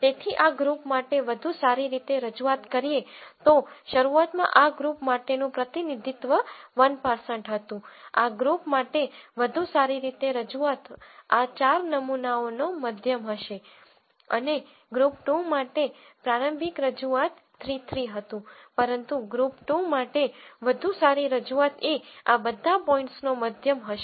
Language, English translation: Gujarati, So, a better representation for this group, so initially the representation for this group was 1 1, a better representation for this group would be the mean of all of these 4 samples and the initial representation for group 2 was 3 3 , but a better representation for group 2 would be the mean of all of these points